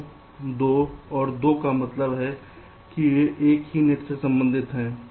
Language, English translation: Hindi, two, two and two means they belong to the same net